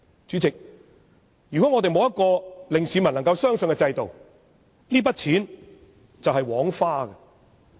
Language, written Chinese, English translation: Cantonese, 主席，如果沒有一個能令市民相信的制度，這筆錢便是枉花。, Chairman in the absence of a trustworthy system the amount of money in question will only be spent without any return